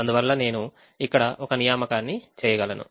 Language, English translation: Telugu, so we have made an assignment here